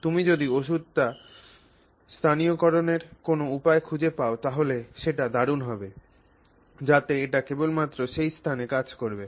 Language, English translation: Bengali, It is very nice to see if you can find a way to localize that medicine so that it acts only in that location